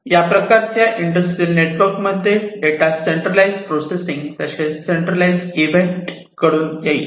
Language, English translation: Marathi, So, through the industrial network the data are going to be coming for centralized event, centralized processing